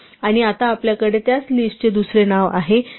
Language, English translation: Marathi, And now we also have another name for the same list namely list2